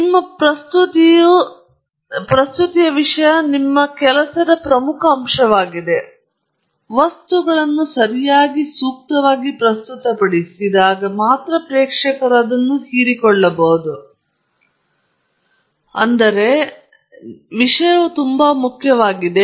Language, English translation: Kannada, The most important aspect of all your work is your content of your presentation, all the other things help you make it a make it, present the material correctly, appropriately, and so that the audience can absorb it, but content is most important